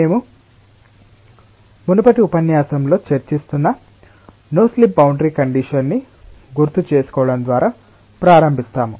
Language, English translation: Telugu, we start with recalling the no slip boundary condition that we were discussing in the previous lecture